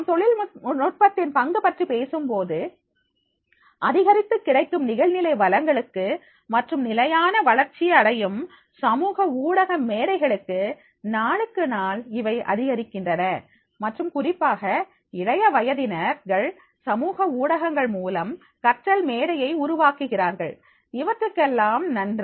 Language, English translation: Tamil, ) If we talk about the role of technology, thanks to the increasing availability of online resources and to the steady growth of social media platforms, day by day, it is increasing and especially the young people, they are making a learning platform out of the social media